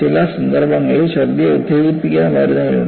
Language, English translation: Malayalam, In some cases, there are medicines which would stimulate vomiting